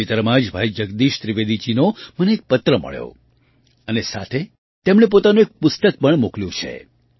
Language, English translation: Gujarati, Recently I received a letter from Bhai Jagdish Trivedi ji and along with it he has also sent one of his books